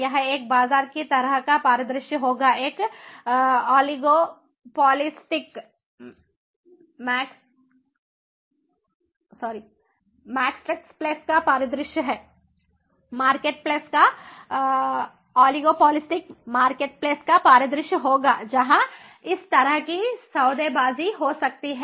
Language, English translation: Hindi, it will be a market place kind of scenario, a oligor, oligopolistic market place scenario, where this kind of bargaining can take place